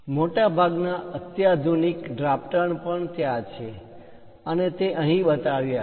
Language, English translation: Gujarati, Most sophisticated drafters are also there, and those are shown here